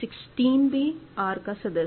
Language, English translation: Hindi, 1 by 4 is not in R